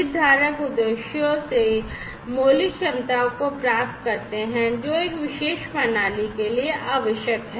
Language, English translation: Hindi, Stakeholders obtain the fundamental capabilities from the objectives, which are necessary for a particular system